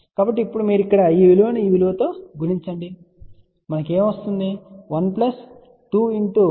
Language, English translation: Telugu, So, now, you multiply this with this here what we will get